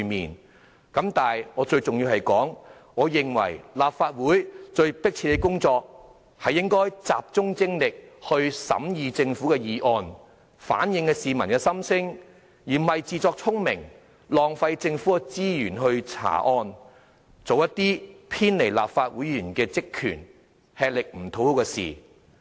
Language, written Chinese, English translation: Cantonese, 但是，有一點更為重要，便是我認為立法會最迫切的工作是集中精力審議政府的議案，反映市民心聲，而不是自作聰明，浪費政府資源來查案，做一些偏離立法會議員職權，吃力不討好的事情。, However more importantly I believe there is a pressing need for the Legislative Council to focus its energy on scrutinizing government bills and reflecting the peoples voices instead of trying to be smart and deviate from its right duties by consuming the governments resources on crime investigation which cannot be done effectively by a legislature . I must make myself clear before all of you in this Chamber